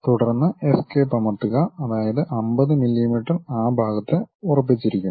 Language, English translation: Malayalam, Then press Escape; that means, 50 millimeters is fixed on that side